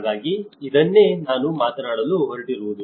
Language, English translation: Kannada, So, this is what I am going to talk about